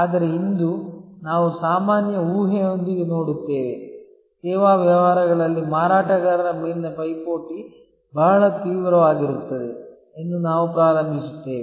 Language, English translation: Kannada, But, today we will look at with the general assumption, we will start that in service businesses rivalry on sellers is very intense